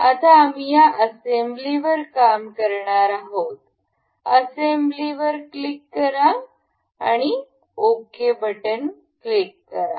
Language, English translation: Marathi, So, now we will be working on this assembly we click on assembly, we click on assembly click ok